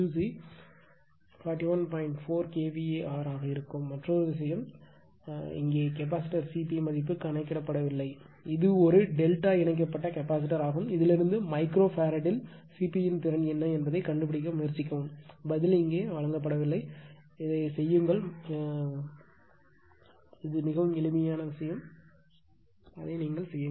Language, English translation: Tamil, 4kVAr , and and another thing is there the capacitor C P value not computed here, it is a delta connected capacitor from this also you try to find out what is the value of C P right a capacity in micro farad that answer is not given here, but I suggest you please do it and this one is very simple thing you do it upto your own right